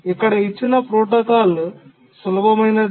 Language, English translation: Telugu, That's the simple protocol